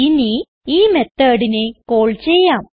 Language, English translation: Malayalam, Now we will call this method